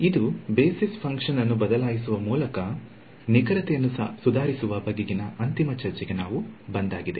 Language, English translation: Kannada, So, that brings us to the final discussion on improving accuracy by changing the Basis Functions